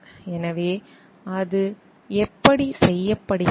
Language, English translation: Tamil, So, how it is done